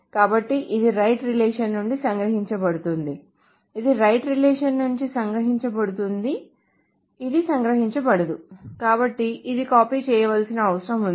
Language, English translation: Telugu, Then what is left out so this is captured from the right relation, this is captured from the right relation, this is not captured, so this needs to be copied down